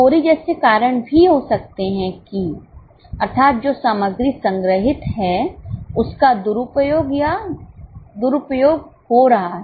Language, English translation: Hindi, There can also be causes like pilferage that the material which is stored is being misused or mishandled